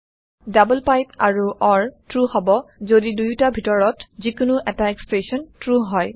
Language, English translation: Assamese, double pipe and or evaluate to true, if either expression is true